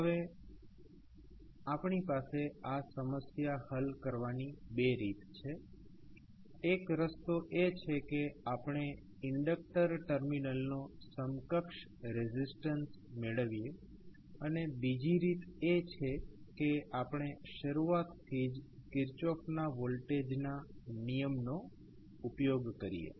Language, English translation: Gujarati, Now, here we have two ways to solve this problem, one way is that we can obtain the equivalent resistance of the inductor terminal, or other way is that, we start from scratch using Kirchhoff voltage law